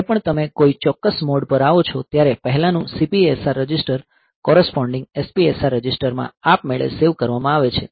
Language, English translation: Gujarati, So, whenever you come to a particular mode, so previous CPSR register is saved automatically into the corresponding SPSR register